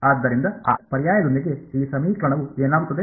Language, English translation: Kannada, So, with that substitution what will this equation become